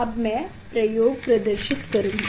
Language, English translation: Hindi, now, I will demonstrate the experiment